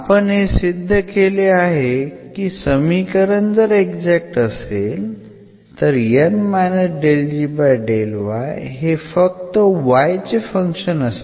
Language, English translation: Marathi, And that we will tell us that this is a function of y alone